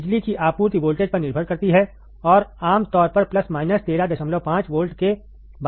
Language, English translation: Hindi, Depends on the power supply voltage, and typically is about plus minus 13